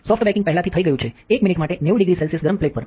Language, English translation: Gujarati, Soft baking is already done it 90 degree centigrade right for 1 minute on hot plate